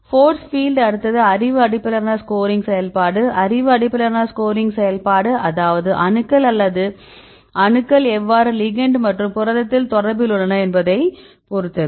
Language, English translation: Tamil, And the force field right now the next one is knowledge based scoring function the knowledge based scoring function, that is depends upon how the atoms are in contact right in the ligand and the protein